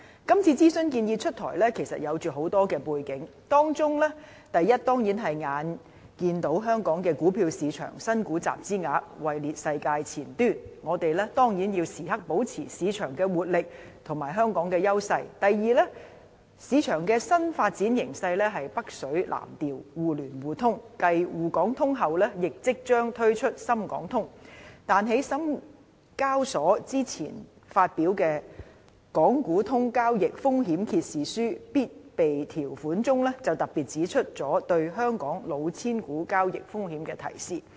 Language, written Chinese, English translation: Cantonese, 今次諮詢建議出台，其實是有很多背景的，當中第一點，當然是香港股票市場新股集資額位列世界前端，我們必須時刻保持市場活力和香港的優勢；第二，市場的新發展形勢是北水南調、互聯互通，繼"滬港通"外，亦即將推出"深港通"，但在深交所之前發表的《港股通交易風險揭示書必備條款》中，就特別指出了對香港"老千股"交易風險的提示。, There are actually many factors behind the decision of rolling out this consultation on the proposed enhancements among which are firstly since the Hong Kong stock market is at top of the world in terms of the volume of capital raised by new stocks we have to maintain the vibrancy of our market and Hong Kongs advantageous position at all times; secondly a new trend of market development has formed with capital inflows from Mainland and the implementation of the China Connect Programme under which the Shenzhen - Hong Kong Connect is due to launch soon following the launch of the Shanghai - Hong Kong Connect . However the trading risks associated with the cheating shares in the Hong Kong market has been highlighted in Mandatory Provisions for the Risk Disclosure Statement for Hong Kong Connect Trading released earlier by the Shenzhen Stock Exchange